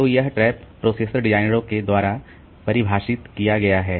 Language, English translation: Hindi, So, this trap is defined by the processor designers